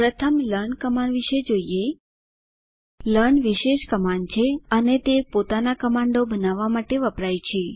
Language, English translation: Gujarati, Lets first look at learn command learn is a special command as it is used to create your own commands